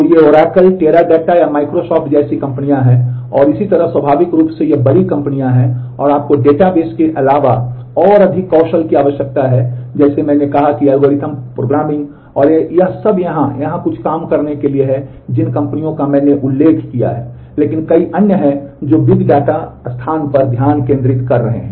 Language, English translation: Hindi, So, these are companies like Oracle, Teradata or Microsoft and so on, naturally these are big companies and you need more lot of more skills besides the database like I said algorithms programming and all that to crack a job here and here are some of some companies which I have mentioned, but there are many others who are focusing on the big data space